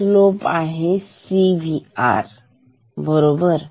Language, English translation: Marathi, So, the slope is C V r right